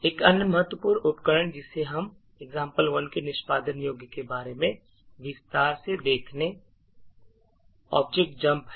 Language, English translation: Hindi, actually look at to go more into detail about the example 1 executable is this objdump